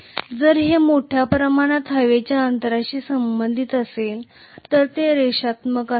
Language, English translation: Marathi, If it is only associated with a large amount of air gap it should have been linear